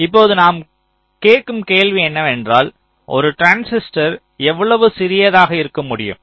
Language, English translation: Tamil, now the question that we are trying to ask is that: well, how small can transistors b